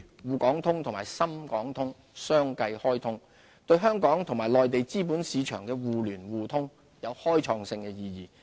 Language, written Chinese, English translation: Cantonese, 滬港通及深港通相繼開通，對香港與內地資本市場互聯互通有開創性的意義。, The launch of the Shanghai - Hong Kong Stock Connect and the Shenzhen - Hong Kong Stock Connect are of groundbreaking significance to mutual capital market access between Hong Kong and the Mainland